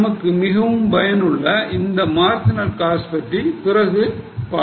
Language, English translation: Tamil, Later on we are going to study marginal costing where this will be very much useful